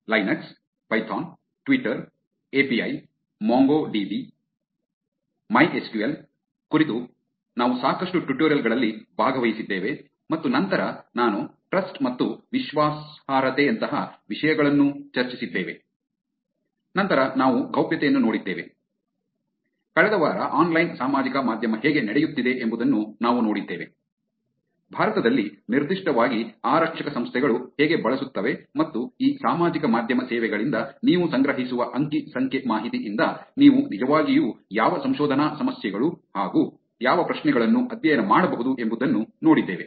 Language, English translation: Kannada, We have had a lot of hands on tutorials about Linux, Python, Twitter API, Mongo DB, MySQL and then I went into topics like Trust and Credibility, then we saw Privacy, last week we saw what is Policing how online social media is being used by police organizations specifically in India and what research problems, what questions that you can actually study from the data that you collect from these social media services